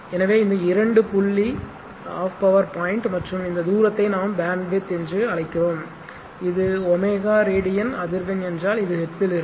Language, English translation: Tamil, So, this two point call half power point and the and this distance which we call bandwidth right, and this is if it is omega radian per second if it is frequency then it will be in hertz, so